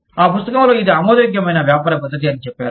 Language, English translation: Telugu, The book says, it is an acceptable business practice